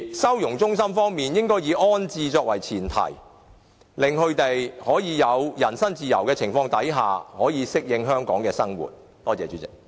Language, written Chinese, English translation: Cantonese, 收容中心方面應該以安置作為前設，令他們可以在有人身自由的情況之下，適應香港的生活。, The prerequisite for the setting up of a holding centre is that it should be set up for the sake of settling down so that they can exercise personal liberty and adapt themselves to the life in Hong Kong